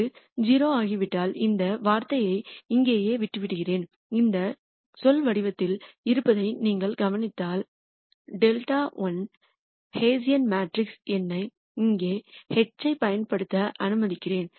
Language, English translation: Tamil, And once that is 0 then I am left with the just this term right here and if you notice this term is of the form delta transpose the hessian matrix let me use H here delta